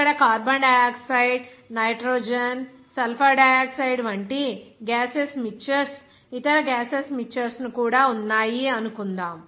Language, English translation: Telugu, Suppose here a mixture of gases like carbon dioxide, nitrogen, sulfur dioxide, even that other gaseous mixtures